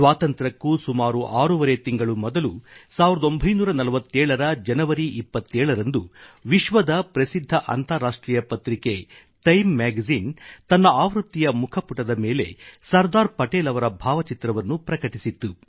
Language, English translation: Kannada, Six months or so before Independence, on the 27th of January, 1947, the world famous international Magazine 'Time' had a photograph of Sardar Patel on the cover page of that edition